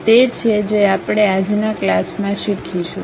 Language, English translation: Gujarati, These are the things what we will learn in today's class